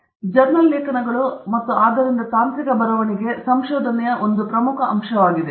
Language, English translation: Kannada, So therefore, journal articles, and therefore, technical writing is a very important aspect of research